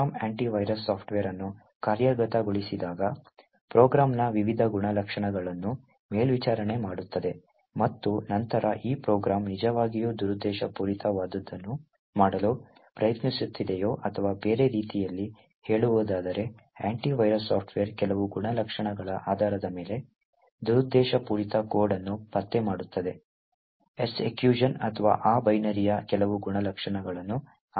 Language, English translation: Kannada, So when a program executes the anti virus software would monitor various characteristics of the program and then identify whether this program is actually trying to do something malicious or in other words, the anti virus software would detect malicious code, based on certain characteristics during the execution or based on certain characteristics of the binary of that particular executable